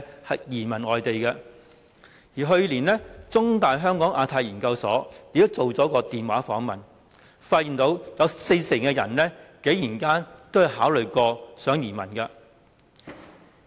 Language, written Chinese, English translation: Cantonese, 香港中文大學香港亞太研究所去年曾進行電話訪問，發現有四成人曾考慮移民。, A telephone survey conducted by the Hong Kong Institute of Asia - Pacific Studies of The Chinese University of Hong Kong revealed that some 40 % of the respondents had considered emigration